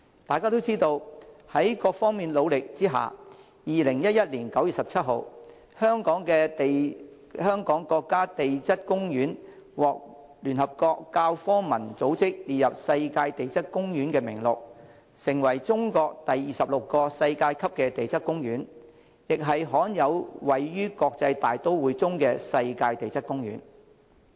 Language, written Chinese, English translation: Cantonese, 大家也知道，在各方努力下，在2011年9月17日，中國香港世界地質公園獲聯合國教科文組織列入世界地質公園名錄，成為中國第二十六個世界級地質公園，亦是罕有位於國際大都會中世界地質公園。, As we all know through concerted efforts from all parties concerned the Hong Kong Global Geopark of China was added to the UNESCOs Global Geoparks Network on 17 September 2011 and became the 26 world - class national geoparks of China . Hong Kong Global Geopark of China is also unique because of its location in an international metropolitan city